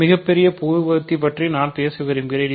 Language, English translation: Tamil, I talk about I want to talk about greatest common divisor